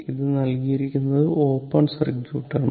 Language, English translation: Malayalam, So, this i is given it is open circuit